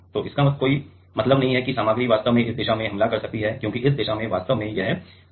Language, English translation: Hindi, So, there is no point were the material can actually attack from this direction because, in this direction actually this 111 plain is there